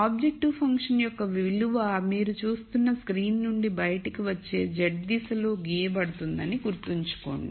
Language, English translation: Telugu, Remember that the value of the objective function is going to be plotted in the z direction coming out of the plane of the screen that you are seeing